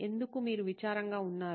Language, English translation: Telugu, Why are you sad